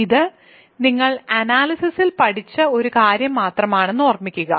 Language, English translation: Malayalam, So, remember this is just something that you have learned in analysis right